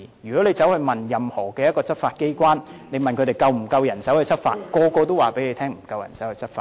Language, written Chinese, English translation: Cantonese, 如果你問執法機關是否有足夠人手執法，每個執法機關都會告訴你沒有足夠人手執法。, If one asks law enforcement agencies whether they have sufficient manpower to enforce the law each agency will claim that there is insufficient enforcement manpower